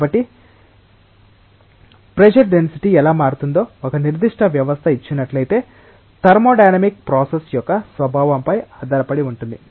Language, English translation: Telugu, So, given a particular system how the density will change with pressure will depend on the nature of the thermodynamic process